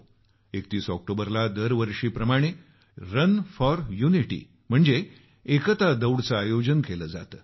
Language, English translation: Marathi, On 31st October, this year too 'Run for Unity' is being organized in consonance with previous years